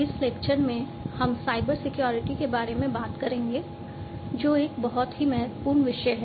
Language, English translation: Hindi, In this lecture, we will talk about Cybersecurity, which is a very important topic